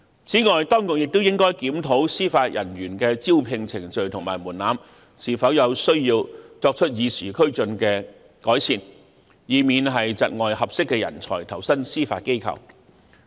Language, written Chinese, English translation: Cantonese, 此外，當局亦應檢討司法人員的招聘程序和門檻，看看是否有需要作出與時俱進的改善，以免窒礙合適的人才投身司法機構。, Furthermore the authorities should also review the recruitment procedures and threshold of Judicial Officers to see if improvements should be made to keep pace with the times so as to avoid hampering suitable talents from joining the Judiciary